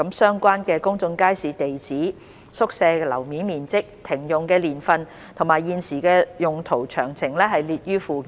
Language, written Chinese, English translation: Cantonese, 相關公眾街市的地址、宿舍樓面面積、停用年份和現時的用途詳情列於附件。, The address floor area year of closure and current use of these disused quarters units in public markets are detailed at Annex